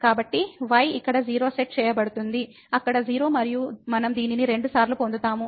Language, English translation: Telugu, So, will be set here 0; there also 0 and we will get this 2 times